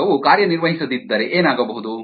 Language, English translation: Kannada, also, what if the experiment doesn't work